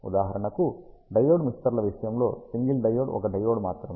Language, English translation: Telugu, For example, in case of diode mixers single diode is only one diode